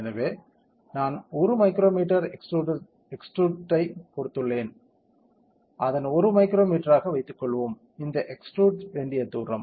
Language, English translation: Tamil, So, I have given 1 micro meter extrusion, let us keep its 1 micrometer, this is the distance to be extruded you can see that, ok